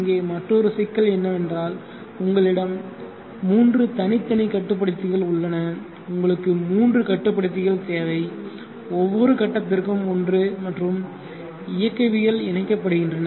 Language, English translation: Tamil, Another issue here is that you have 3 separate controllers, you need 3 controllers one for each phase and the dynamics are coupled